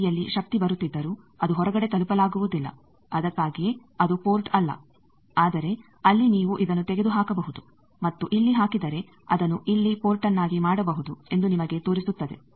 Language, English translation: Kannada, Though power is coming at this end, but it is not accessible outside that is why it is not a port, but to show you that there you can remove this and if you put this you can make it a port here